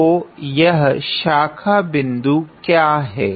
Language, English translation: Hindi, So, what are these branch points